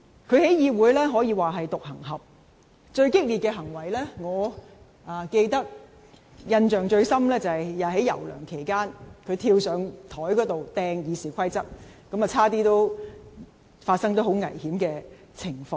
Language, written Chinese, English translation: Cantonese, 他在議會可說是獨行俠，最激烈的行為，我印象最深的就是，在梁游事件期間，他跳上檯面擲《議事規則》，差點發生很危險的情況。, In the Council he can be regarded as a loner . And the most fierce action that gave me the strongest impression is that during the incident of Sixtus LEUNG and YAU Wai - ching he jumped onto the desk to hurl the Rules of Procedure into the air almost causing a very dangerous situation